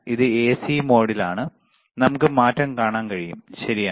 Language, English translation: Malayalam, It is in AC mode, we can we can see the change, right